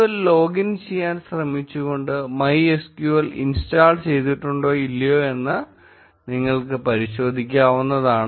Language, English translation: Malayalam, You can test whether MySQL has indeed been installed or not by trying to log into MySQL